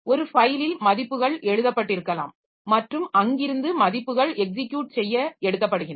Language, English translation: Tamil, In a file the values may be written and from there the values are taken for execution